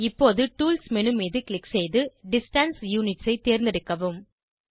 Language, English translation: Tamil, Now, click on Tools menu, select Distance Units